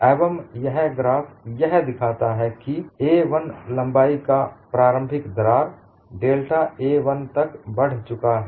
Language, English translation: Hindi, So, what this graph shows is a crack of initial length a 1 has advanced by delta a 1